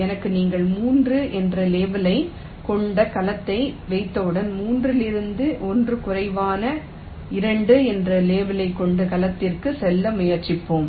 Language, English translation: Tamil, ok, so once you have a cell with a label of three, from three we will try to go to a cell with a label of one less two